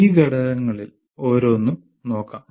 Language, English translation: Malayalam, Let us look at each one of these components